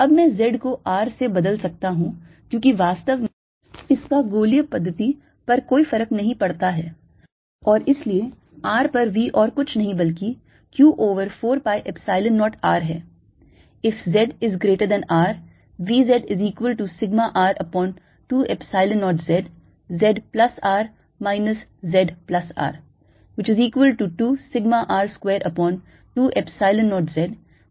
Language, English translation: Hindi, now i can replace z by r, because it doesn't really matter spherically system, and therefore v at r is nothing but q over four pi epsilon zero r